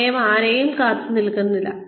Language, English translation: Malayalam, Time waits for nobody